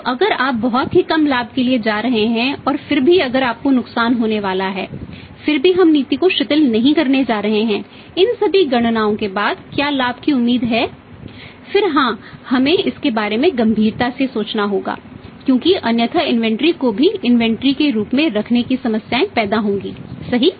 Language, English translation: Hindi, So, if you are going to have very negligible profit even then and if you are going to have lost even then we are not going to relax the policy what is the profit is expected to be there after all these calculations then yes we have to think about it seriously because otherwise also keeping the inventory as inventory will create the problems right